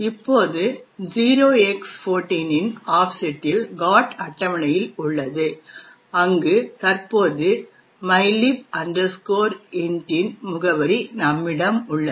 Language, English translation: Tamil, Now within the GOT table at an offset of 0X14 is where we have the address of the mylib int present